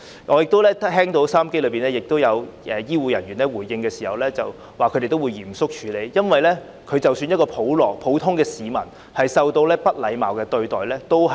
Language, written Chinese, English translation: Cantonese, 我亦聽到有醫護人員回應時表示他們會嚴肅處理，因為即使是普通市民也不應受到不禮貌對待。, I have also heard health care workers respond that they would take the matter seriously because even an ordinary citizen should not be subjected to impolite treatment